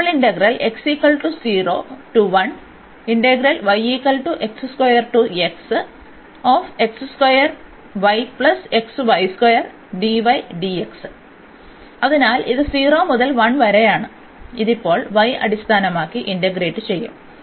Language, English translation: Malayalam, So, this is 0 to 1 and this we will integrate now with respect to y